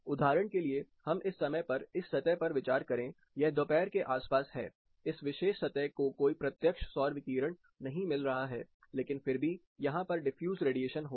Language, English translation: Hindi, For example, consider this surface at this point of time, this is around noon, this particular surface is not getting any direct solar radiation, but still the radiation will be there because of diffuse components